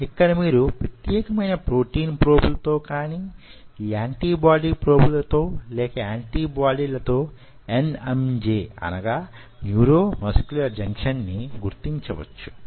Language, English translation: Telugu, it is that out here, out here you can map the nmj or neuromuscular junction with specific protein probes or antibodies, probes or antibodies simultaneously